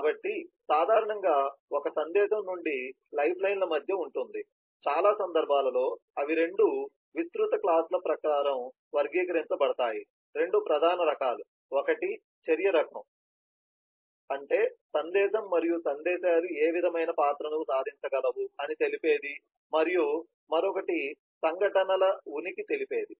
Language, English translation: Telugu, so usually a message will be between two lifelines, most cases and they are categorized according to two broad classes, two major types, one is by the action type, that is what kind of role the message and messages to achieve and other is by the presence of the events